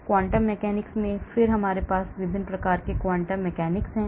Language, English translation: Hindi, in the quantum mechanics again we have different types of quantum mechanics